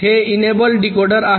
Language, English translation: Marathi, this is an enable, less decoder